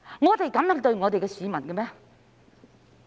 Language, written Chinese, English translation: Cantonese, 我們可以這樣對待市民嗎？, Can we treat members of the public in such a way?